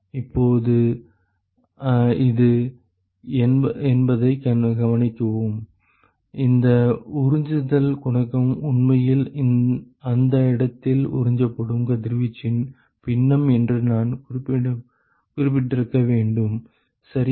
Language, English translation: Tamil, Now, note that this is the; I should have mentioned this absorption coefficient is actually the fraction of radiation, that is absorbed at that location right